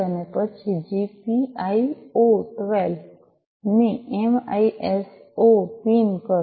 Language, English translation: Gujarati, And then GPIO 12 to the MISO pin